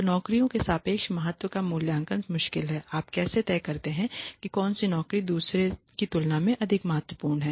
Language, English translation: Hindi, So, evaluation of relative importance of jobs is difficult, how do you decide which job is more important than another